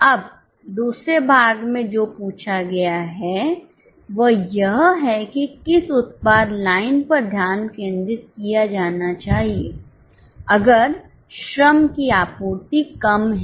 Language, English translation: Hindi, Now in the second part what has been asked is which product line should be focused if labor is in short supply